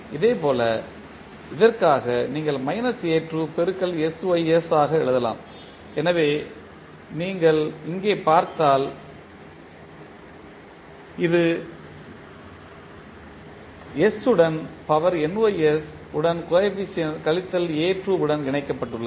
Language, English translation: Tamil, Similarly, for this you can write minus a2 into sys so sys so you see here and this is connected with s to the power nys with the coefficient minus a2